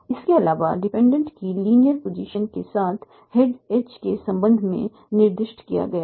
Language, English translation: Hindi, Also with the linear position of the dependent is specified with respect to the head edge